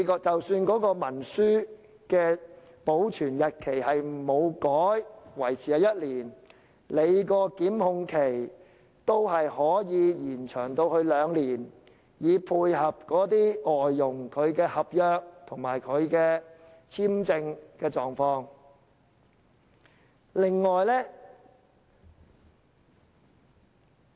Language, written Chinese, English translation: Cantonese, 即使文書保存期限不變，維持在1年，檢控的法定時效限制也可延長至兩年，以配合外傭的合約和簽證情況。, Even if the retention period for documents remains the same and is fixed at one year the statutory time limit for prosecution can be extended to two years to accommodate the contract and visa conditions of foreign domestic helpers